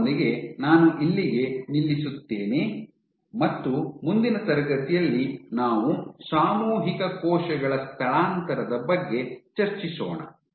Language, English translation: Kannada, With that I stop here for today in the next class we will discuss about collective cell migration